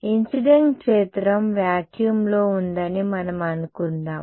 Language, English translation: Telugu, Let us assume that the incident field is in vacuum